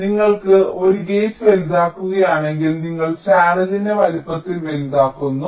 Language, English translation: Malayalam, so if you are give making a gate larger, you are making the channel larger in size